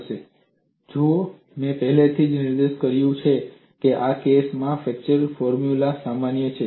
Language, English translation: Gujarati, See I have already pointed out is flexure formula valid for this case